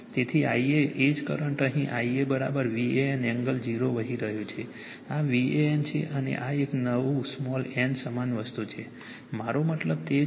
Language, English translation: Gujarati, So, I a the same current is flowing here I a is equal to V a n angle 0 , this is your V a n and this is a new small n same thing right same , I will meaning is same